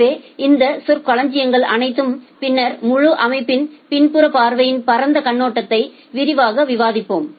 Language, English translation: Tamil, So, we will discuss all these terminologies in details later on just giving you a broad overview kind of backside view of the entire system